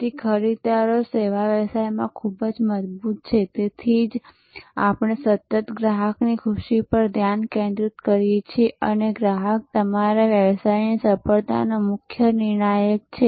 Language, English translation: Gujarati, So, the buyers are very strong in service businesses, that is why we continuously focus on customer delight and customer is the key determinant of your business success